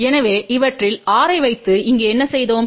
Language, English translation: Tamil, So, what we have done here by putting 6 of these